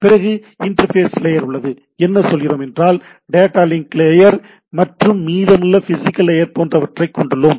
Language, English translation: Tamil, Then we have internet interface layer what we say data link layer and rest of the physical layer type of things